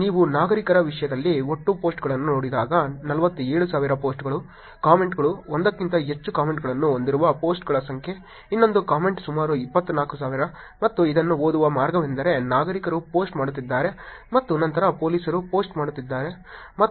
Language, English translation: Kannada, And when you look at total posts in terms of citizens which is 47,000 which has posts, comment, number of post which are more than one comment, one more comment is about 24,000, and the way to read this is citizens are posting and then police and citizens are commenting on it which is about 17,000 and only citizens commenting is about 7000